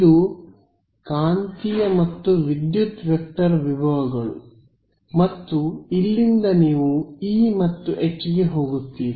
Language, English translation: Kannada, These are magnetic and electric vector potentials and from here you go to E and H